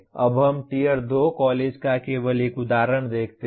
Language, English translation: Hindi, Now we show only one example of Tier 2 college